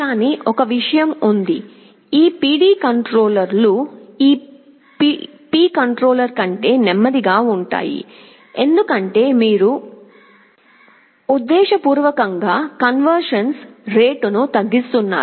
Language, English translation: Telugu, But one thing is there; these PD controllers are slower than P controller, because you are deliberately slowing the rate of convergence